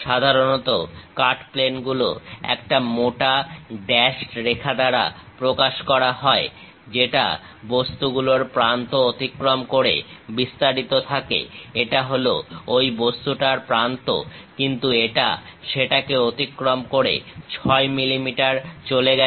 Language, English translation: Bengali, Usually the cut planes represented by a thick dashed line that extend past the edge of the object; this is the edge of that object, but it pass ok over that, 6 mm